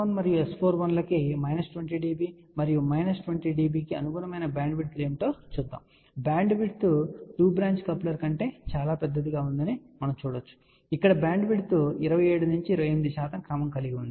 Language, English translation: Telugu, And let us see what are the bandwidths corresponding to minus 20 dB and minus 20 dB for S 11 and S 41 and we can see that the bandwidth is much larger than two branch coupler here the bandwidth is of the order of 27 to 28 percent so which is much larger than two branch coupler